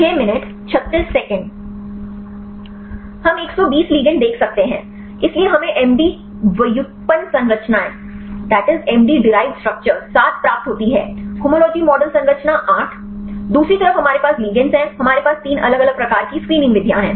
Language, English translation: Hindi, We can see the 120 ligands; so, we get the MD derived structures 7; homology model structure 8; other side we have the ligands, we have three different types of screening methods